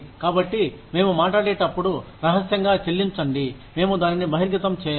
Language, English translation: Telugu, So, when we talk about, pay secrecy, we say, we will not disclose it